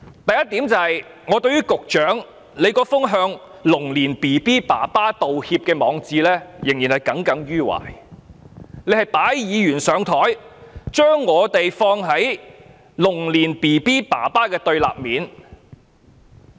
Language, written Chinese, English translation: Cantonese, 第一，我對於局長那篇"向龍年嬰兒父親道歉"的網誌仍然耿耿於懷，他是擺議員"上檯"，把我們放在龍年嬰兒父親的對立面。, First I have still taken to heart about the Secretarys blog titled Apologises to fathers of babies born in the Year of Dragon . He obviously put Members on the spot setting us against those fathers